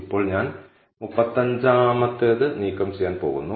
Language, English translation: Malayalam, Now, I am going to remove the 35th